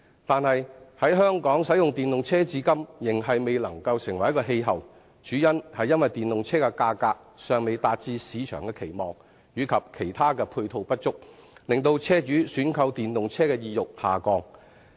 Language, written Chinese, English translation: Cantonese, 但是，在香港使用電動車至今仍未成氣候，主因是電動車的價格尚未達至市場的期望，以及其他配套不足，影響車主選購電動車的意欲。, But still the use of EVs in Hong Kong has never become any major trend . The main reason is that the prices of EVs cannot meet market expectations and there is a shortage of ancillary facilities . The desire of car owners to purchase of EVs is thus affected